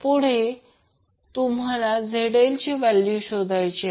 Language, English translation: Marathi, So, what will be the value of ZL